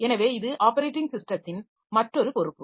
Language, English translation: Tamil, So, this is another responsibility of the operating system